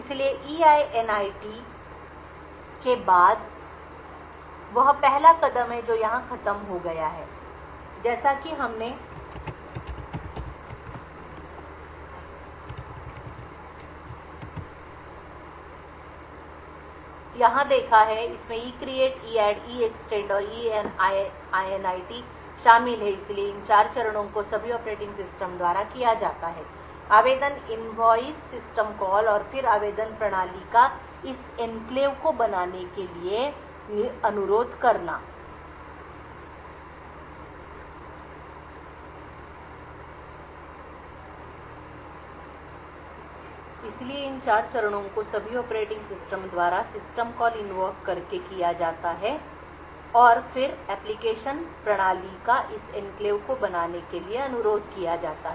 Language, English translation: Hindi, So, after EINIT that is the first step which is over here so the first step as we seen over here ivolves the ECREATE EADD EEXTEND and EINIT, so these 4 steps are all done the operating system by application invoking system calls and then requesting application system to create this enclave